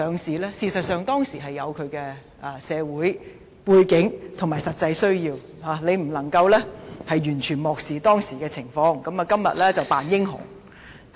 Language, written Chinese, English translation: Cantonese, 事實上，這決定當時有其社會背景和實際需要，他不能完全漠視當時的情況，而在今天扮英雄。, In fact the decision was made against the social background back then based on practical needs . Therefore he cannot play the hero by disregarding the situation back then